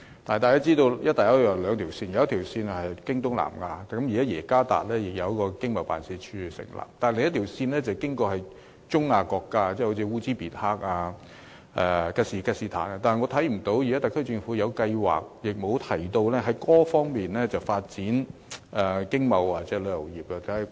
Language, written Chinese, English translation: Cantonese, 大家都知道"一帶一路"有兩條線，一條線是經東南亞，現在政府已在雅加達設立經貿辦，而另一條線是經過中亞國家，好像烏茲別克、吉爾吉斯坦等，但我看不到特區政府有計劃在這些國家發展經貿或旅遊業。, We all know that the Belt and Road consists of two routes one of which passes through South East Asia and the Government has set up an ETO in Jakarta . The other route passes through Central Asian countries such as Uzbekistan and Kyrgyzstan but I do not see the SAR Government having any plan to develop economic and trade activities or tourism in those countries